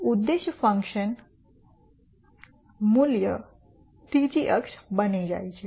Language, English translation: Gujarati, So, the objective function value becomes the third axis